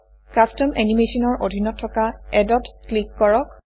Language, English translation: Assamese, Under Custom Animation, click Add